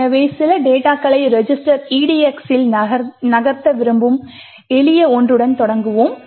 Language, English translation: Tamil, So, let us start with the simple one where we want to move some data into the register edx